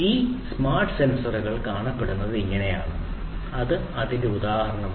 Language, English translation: Malayalam, So, this is how is this is how a smart sensor would look like a smart sensor this is an example of it